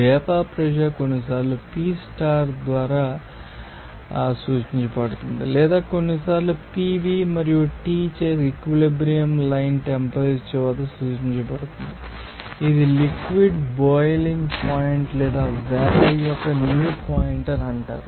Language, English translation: Telugu, Pressure known as vapour pressure sometimes to be denoted by P star or sometimes it will be denoted by P V and T at that equilibrium line temperature will be known as boiling point of the liquid or new point of the vapour